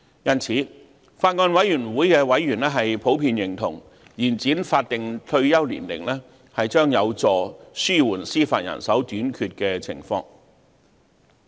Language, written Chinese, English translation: Cantonese, 因此，法案委員會的委員普遍認同，延展法定退休年齡將有助紓緩司法人手短缺的情況。, Therefore members of the Bills Committee generally agreed that extending the statutory retirement ages would help alleviate the shortage of judicial manpower